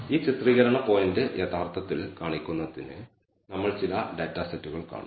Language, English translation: Malayalam, We will see some data sets to actually show this illustrate point